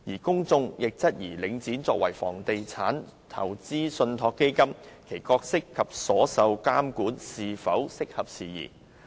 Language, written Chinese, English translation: Cantonese, 公眾亦質疑領展作為房地產投資信託基金，其角色及所受的監管是否適合時宜。, As a real estate investment trust Link REIT is also questioned by the public regarding its role and whether the oversight to which it is subjected is appropriate to the times